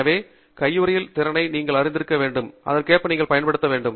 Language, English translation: Tamil, So you should be aware of what is the capability of the glove and then use it accordingly